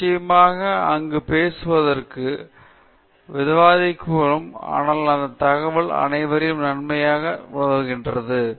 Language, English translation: Tamil, You are, of course, there to present and to talk and discuss it and so on, but having all that information helps the person focus on it better